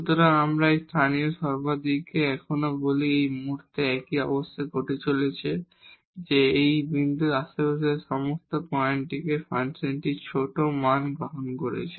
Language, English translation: Bengali, So, we call this local maximum here also at this point the same situation is happening that all the points in the neighborhood of this point the function is taking smaller values